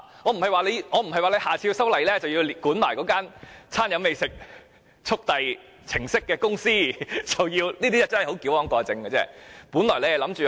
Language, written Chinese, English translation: Cantonese, 我的意思不是在下次修例時要同時規管提供"餐飲美食速遞"程式的公司，這是矯枉過正的做法。, I do not mean to say the Government should also regulate providers of these gourmet food delivery apps in the next legislative exercise . This is overkill